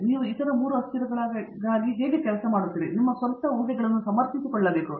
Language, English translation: Kannada, Now, you have to figure out what works for the other 3 variables and justify your own assumptions